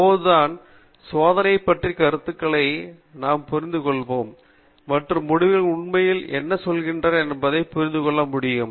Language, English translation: Tamil, Only then we will be able to appreciate the design of experiments concepts and understand what the results are actually telling us